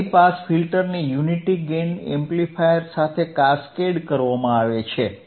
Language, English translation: Gujarati, High pass filter is cascaded with unity gain amplifier right